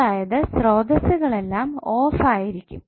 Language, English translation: Malayalam, You will take all the sources off